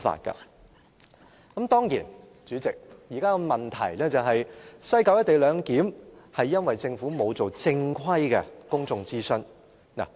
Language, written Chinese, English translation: Cantonese, 當然，代理主席，現在的問題是，西九"一地兩檢"是因為政府沒有進行正規的公眾諮詢。, Of course Deputy President the current problem is that the Government has not conducted any formal public consultation on the co - location arrangement at West Kowloon Station